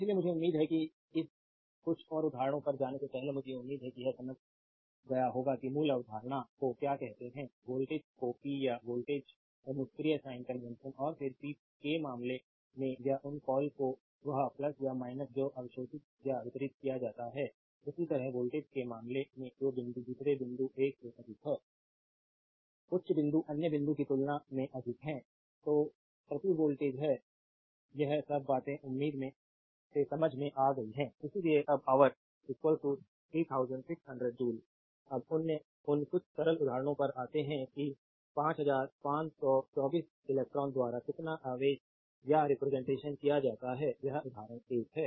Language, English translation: Hindi, So, I hope up to this before going to this few more example, I hope up to this you have your understood your what you call the basic concept the current the voltage the power and the passive sign convention right and then in the case of power that your what you call that plus or minus that absorbed or delivered, similarly in the case of voltage that which point is higher than the other point 1 point is higher than higher point other point that per your voltage, all this things hopefully you have understood right Therefore one hour is equal to 3600 joules right now come to that few simple examples that how much charge is represented by 5524 electrons this is example 1